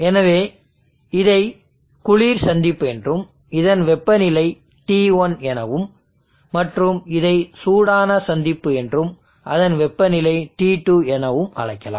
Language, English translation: Tamil, So we are calling here this as the cold junction and it is at temperature T1, we are calling this as the hot junction and that is at temperature T2 the difference between T2 and T1 is called